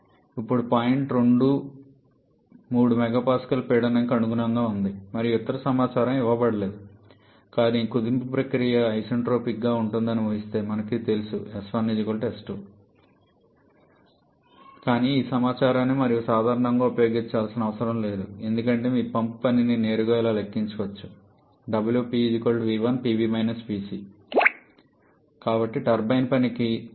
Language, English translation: Telugu, Now point number 2 corresponds to a pressure of 3 mega Pascal and no other information’s are given but assuming the compression process to be isentropic then we know that S 2 equal to S 1 but this information we generally do not need to make use of because you can directly calculate the pump work using this specific volume at point 1 into the difference between boiler pressure and condenser pressure